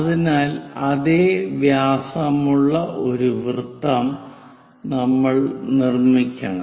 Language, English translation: Malayalam, First, we have to construct a circle of diameter 70 mm